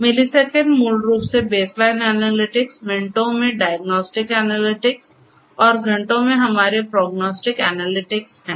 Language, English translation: Hindi, Milliseconds basically the baseline analytics, in minutes are diagnostic analytics and in hours our prognostic analytics